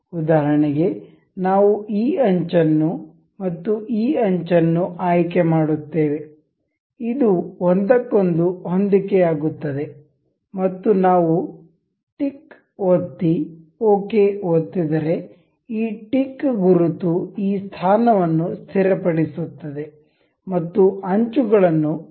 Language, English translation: Kannada, For instance we will select this edge and this edge, this coincides with each other and if we click tick ok, this tick mark it fixes this position as and aligns edges with each other